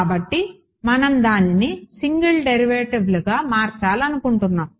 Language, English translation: Telugu, So, we would like to convert it into single derivatives right